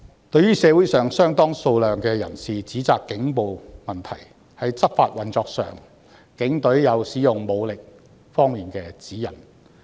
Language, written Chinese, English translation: Cantonese, 對於社會上有相當數量的人士指責警暴問題，在執法運作上，警隊有使用武力方面的指引。, A considerable number of people in the community have condemned the problem of police brutality . The Police have guidelines on the use of force in enforcing the law